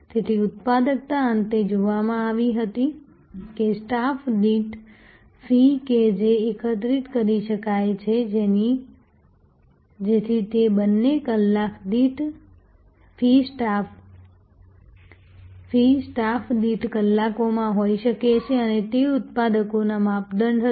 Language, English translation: Gujarati, So, productivity was finally, seen that fees per staff that could be collected, so which could be then a fees per hours into hours per staff and that was the measure of productivity